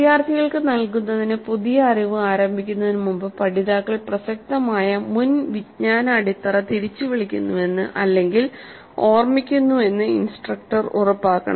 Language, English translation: Malayalam, So before commencing with new knowledge to be imparted to the students, instructor must ensure that learners recall the relevant previous knowledge base